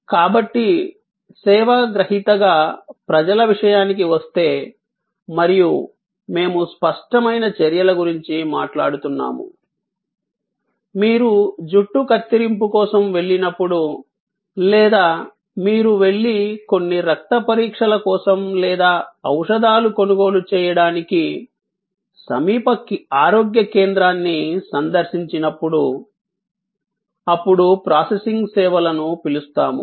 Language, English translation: Telugu, So, when it comes to people as recipient of service and we are talking about tangible actions, then we have what we call people processing services like when you go for a hair cut or you go and visit the nearest health centre for some blood test or some pharmaceutical procurement